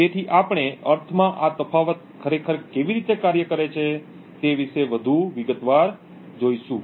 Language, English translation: Gujarati, So, we will look more in detail about how this difference of means actually works